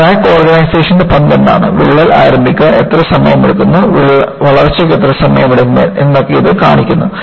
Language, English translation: Malayalam, And, this brings out, what is the role of crack initiation, how long does it take for the crack to initiate and how long it does it take for growth